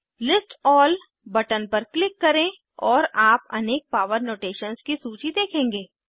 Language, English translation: Hindi, Click on List All button and you will see a list of various power notations